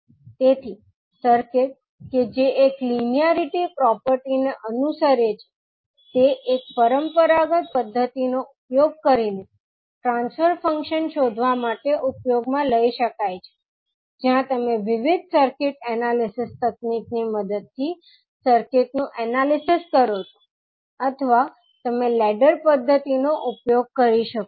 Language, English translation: Gujarati, So, the circuit which follows the linearity property that is a circuit can be used to find out the transfer function using a either the conventional method where you analyze the circuit with the help of various circuit analysis technique or you can use the ladder method